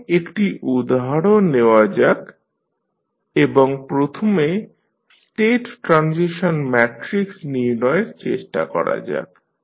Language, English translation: Bengali, Now, let us take an example and try to find out the state transition matrix first